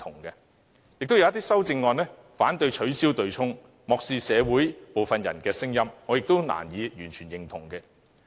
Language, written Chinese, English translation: Cantonese, 亦有一些修正案反對取消對沖機制，漠視社會部分人的聲音，我亦難以完全認同。, There are also some amendments which oppose the abolition of the mechanism turning a deaf ear to the voices of some people in society . I also find it difficult to fully subscribe to this view